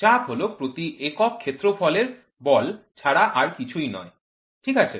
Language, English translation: Bengali, Pressure is nothing but force per unit area, right